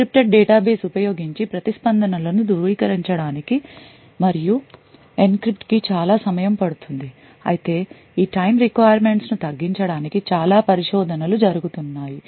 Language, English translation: Telugu, The reason being that it takes still considerable amount of time to actually validate and enncrypt responses using an encrypted database although a lot of research is actually taking place in order to reduce this time requirements